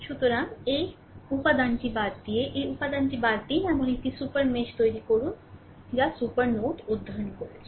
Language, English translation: Bengali, So, exclude this element because we have by excluding this we are creating a super mesh like super node we have studied